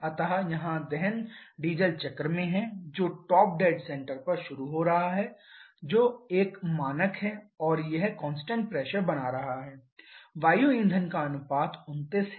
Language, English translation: Hindi, So, here the combustion is in the diesel cycle is beginning at top dead center which is a standard and it is continuing the constant pressure, air fuel ratio is 29